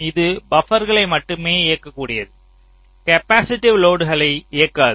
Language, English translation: Tamil, it is only driving the buffers, not the capacitive loads